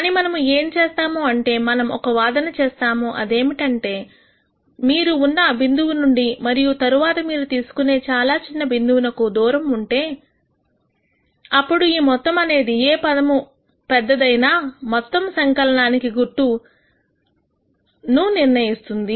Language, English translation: Telugu, But what we are going to do is we are going to make the argument that if you make the distance between the point that you are at and the next point that you are going to choose very small, then whatever is the leading term in the sum is going to decide the sign of the whole sum